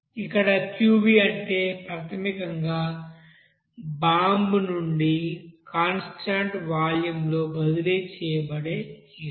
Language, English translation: Telugu, So here Qv is basically the heat that is transferred from the bomb at a constant volume